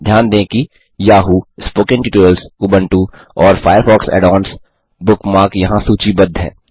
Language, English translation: Hindi, Notice that the Yahoo, Spoken Tutorial, Ubuntu and FireFox Add ons bookmarks are listed here